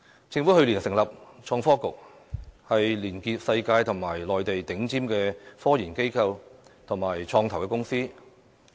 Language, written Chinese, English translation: Cantonese, 政府去年成立創新及科技局，連結世界及內地頂尖的科研機構和創投公司。, Last year the Government set up the Innovation and Technology Bureau to link up top - tier global as well as Mainland research and development institutes and venture capital firms